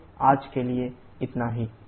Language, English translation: Hindi, So, that's it for today